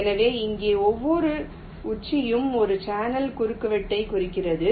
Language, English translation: Tamil, so here, ah, each vertex represents a channel intersection